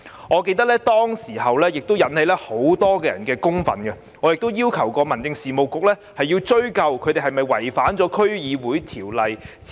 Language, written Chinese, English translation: Cantonese, 我記得當時引起很多人的憤怒，而我亦要求民政事務局追究他們有否違反《區議會條例》的指引。, I remember that this has aroused a lot of anger at that time and I have also asked the Home Affairs Bureau to look into whether he had violated the guidelines under the District Councils Ordinance